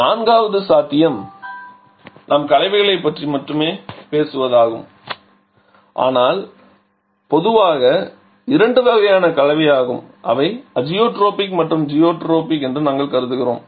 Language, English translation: Tamil, The 4th possibility is the mixtures we shall not be talking about the mixtures but they are generally are two types of mixtures that we consider Azotropic and zerotropic